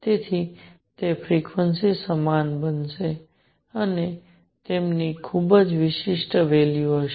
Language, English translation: Gujarati, So, those frequencies are going to be equal and they are going to have very specific values